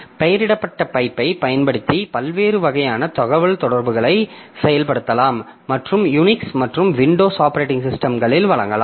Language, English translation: Tamil, So, we can have different types of communication implemented using named pipe and provided on both Unix and Windows operating system